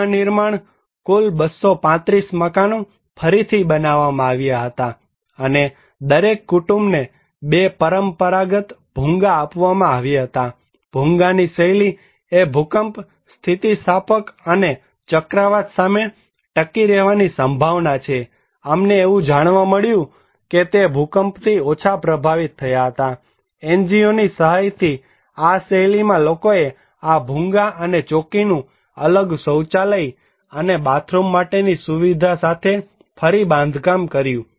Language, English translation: Gujarati, Reconstructions; total 235 houses were rebuilt and each family was provided 2 traditional Bhungas, Bhungas style that is prone to resilient to earthquake and resilient to cyclone that we found that was less affected by the earthquake, this style with the help of NGO’s, people reconstructed these Bhungas and Chowki along with the facilities for a separate toilet and bathroom